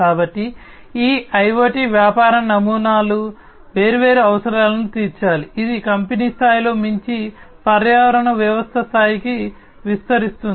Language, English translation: Telugu, So, these IoT business models must address different requirements, this would extend the scope beyond in the company level to the ecosystem level